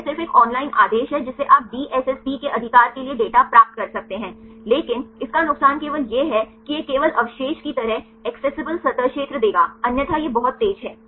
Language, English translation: Hindi, It just a online command you can get the data for the DSSP right, but only disadvantage is it will give only the residue wise accessible surface area, otherwise it is it is very fast